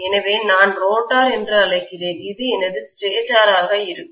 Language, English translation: Tamil, So I call this as the rotor and this is going to be my stator